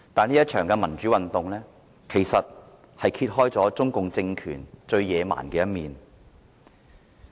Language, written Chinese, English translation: Cantonese, 這一場民主運動揭露了中共政權最野蠻的一面。, This movement exposed the most barbaric front of the regime of the Communist Party of China CPC